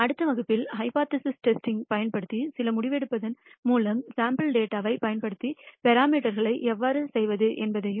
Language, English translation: Tamil, In the next lecture we will take you through some decision making using hypothesis testing and how to perform estimation of parameters using sample data